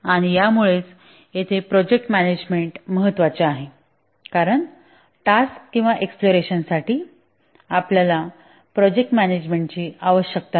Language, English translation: Marathi, And that's the reason why project management is important here because for the tasks or the exploration you don't need project management